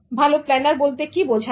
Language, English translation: Bengali, What about good planners